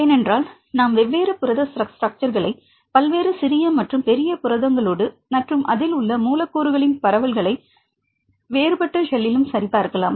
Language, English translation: Tamil, Because when we compare the different protein structures to small proteins or big proteins and all, and the distribution of the residues right any in any different shell